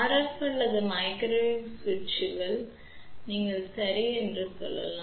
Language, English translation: Tamil, Hence, RF or microwave switches you can say ok